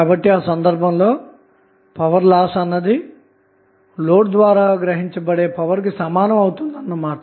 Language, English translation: Telugu, So, in that case loss, whatever we get in the system would be equal to whatever power is being absorbed by the load